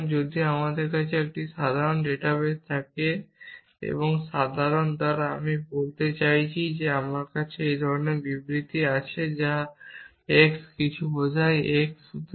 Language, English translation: Bengali, So, if I have a simple database and by simple I mean, I have only statements of this kind something x implies something x